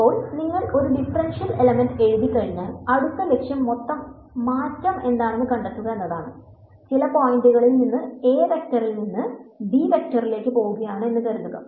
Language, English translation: Malayalam, Now, once you have written a differential element as it is called the next objective would be to find out what is the total change; let us say when I go from some point “a” vector to some point over here “b” vector